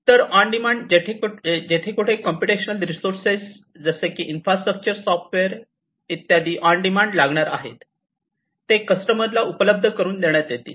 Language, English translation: Marathi, So, on demand whenever computational resources like infrastructure software is etcetera are going to be required on demand, these are going to be offered to the customers